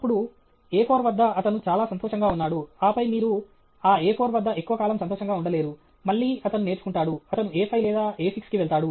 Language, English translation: Telugu, Then, at A four he is very happy, and then, you cannot stay happy at that A four for a long time, again he will learn, he will go to A five or A six